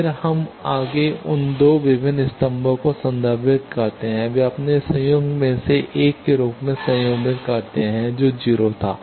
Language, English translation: Hindi, Then we invoke further those earlier 2 different columns they are conjugate one of their conjugate that was 0